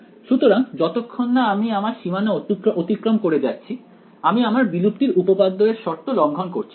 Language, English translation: Bengali, So, as long as I do not go across the boundary I am not violating the condition of extinction theorem right